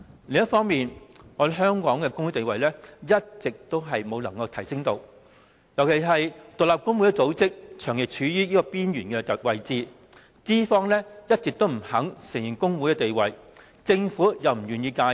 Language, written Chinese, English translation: Cantonese, 另一方面，香港的工會地位一直無法提升，尤其是獨立工會組織長期處於邊緣位置，資方一直不肯承認工會的地位，政府又不願意介入。, Moreover the position of trade unions in Hong Kong has not been enhanced so far . Independent trade union organizations are particularly on the verge of being marginalized where employers refuse to recognize their status and the Government is unwilling to intervene